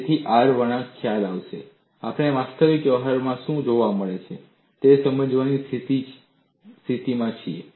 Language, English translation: Gujarati, So, with the R curve concept, we are in a position to explain what is observed in actual practice